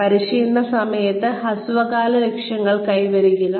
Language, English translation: Malayalam, Achieve short term goals, during the training